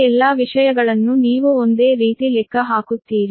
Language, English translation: Kannada, all these things you calculate similarly